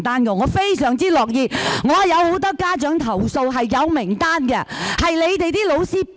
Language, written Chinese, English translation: Cantonese, 我收到很多家長投訴，是有名單的。, I have received complaints from many parents and I have the lists